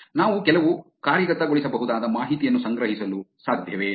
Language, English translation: Kannada, Is it possible we can collect some actionable information